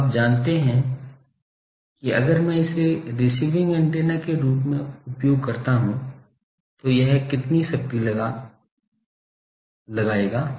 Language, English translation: Hindi, Now, you know that if I use it as receiving antenna, how much power it will be able to find out